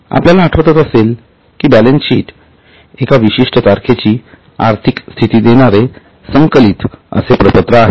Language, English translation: Marathi, If you remember balance sheet is a statement which gives the financial position as on a particular date